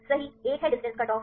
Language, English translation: Hindi, Right one is a distance cut off